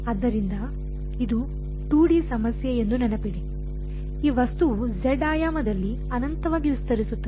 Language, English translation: Kannada, So, remember this being a 2D problem, this object extents infinitely in the z dimension